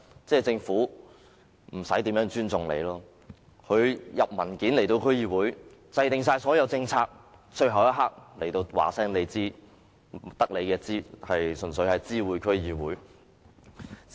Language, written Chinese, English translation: Cantonese, 政府遞交文件給區議會時，所有政策均已制訂，最後一刻才告訴區議會，純粹是知會性質。, When the Government submits papers to DCs all policies have already been formulated and DCs are informed at the last minute just as a gesture of notification